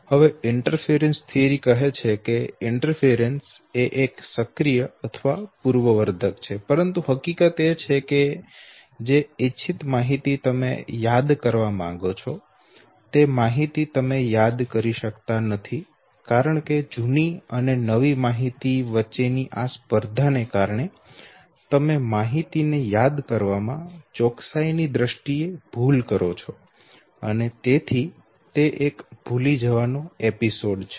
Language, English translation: Gujarati, Now interference theory says, that either the interference is proactive or retroactive, but the fact remains that whatever is the desired information that you want to extract out, that information you are not able to okay, because of this competition between the old and the new information and their fore you commit an error in terms of accuracy of recall of the content and therefore it is an episode of forgetting